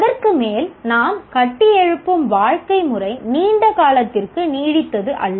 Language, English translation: Tamil, And on top of that, the style of life that we are building is not sustainable over a longer period of time